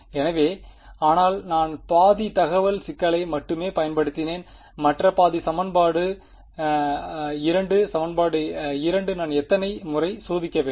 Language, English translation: Tamil, So, then, but I have used only half the information problem the other half is equation 2; equation 2 how many times should I test